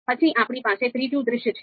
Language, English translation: Gujarati, Then we talk about third scenario